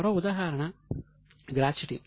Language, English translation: Telugu, One more example is gratuity